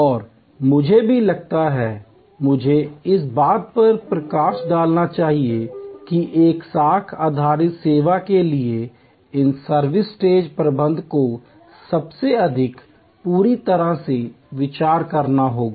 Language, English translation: Hindi, And I think also, I should highlight that the in service stage management for a credence based service will have to be most completely thought out